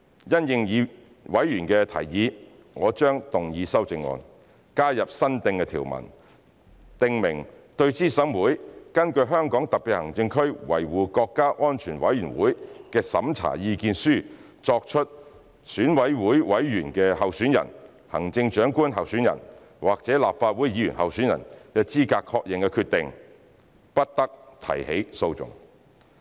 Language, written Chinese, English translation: Cantonese, 因應委員的提議，我將動議修正案，加入新訂條文，訂明"對資審會根據香港特別行政區維護國家安全委員會的審查意見書作出選舉委員候選人、行政長官候選人或立法會議員候選人資格確認的決定，不得提起訴訟"。, In response to members suggestions I will move amendments to add a new provisions to specify that no legal proceedings may be instituted in respect of a decision made by CERC of HKSAR on the eligibility of a candidate for EC member or for the office of Chief Executive pursuant to the opinion of the Committee for Safeguarding National Security of HKSAR